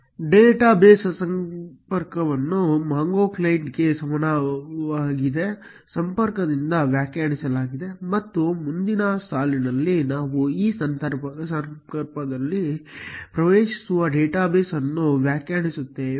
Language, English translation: Kannada, Connection to the database is defined by connection equal to MongoClient, and in the next line we define the database which we will be accessing in this connection